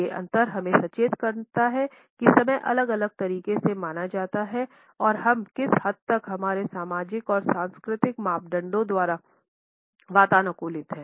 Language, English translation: Hindi, These differences alert us to the manner in which time is perceived in different ways and the extent to which we are conditioned by our social and cultural parameters